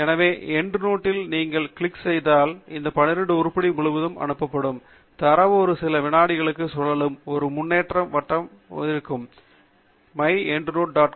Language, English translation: Tamil, So, the moment you click on the End Note portal, then all these 12 items will be sent across, you would see a progress circle here rotating for few seconds while the data is being transferred from the Web of Science portal to the myendnote